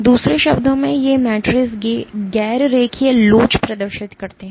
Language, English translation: Hindi, In other words these matrices exhibit non linear elasticity